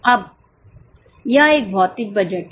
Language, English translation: Hindi, Now this is a physical budget